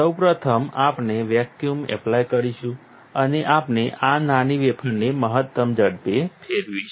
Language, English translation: Gujarati, First, we will apply vacuum and we spin this little wafer at the maximum speed